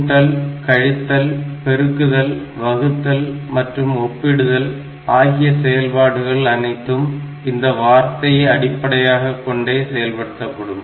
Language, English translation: Tamil, But when it is doing the basic operations like addition, subtraction, multiplication, division, comparison, all this operations then they are operating at the word level